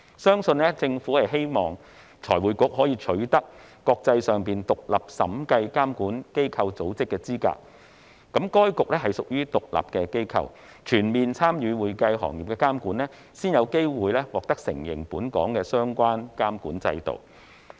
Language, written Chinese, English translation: Cantonese, 相信政府希望財匯局可以取得國際上獨立審計監管機構組織的資格，該局屬獨立機構，要全面參與會計行業的監管，才有機會獲得國際承認本港的相關監管制度。, I believe the Government hopes that FRC can become qualified as an independent audit regulator in the international arena . As an independent body FRC has to participate fully in the regulation of the accounting profession before there will be the chance for Hong Kongs relevant regulatory regime to gain international recognition